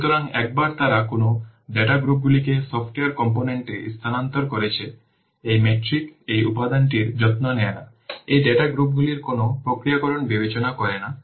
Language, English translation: Bengali, So once they what data groups they have been moved into the software component, this metric does not take care of this, this metric does not take into account any processing of these data groups